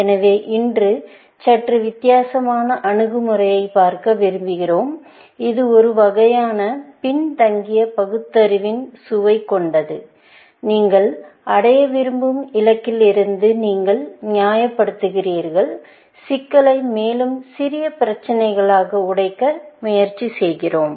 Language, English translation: Tamil, So, today, we want look at a slightly different approach, which is kind of, has a flavor of backward reasoning, in the sense, you reason from the goal that you want to achieve, and try to break down the problem into smaller problems and so on, essentially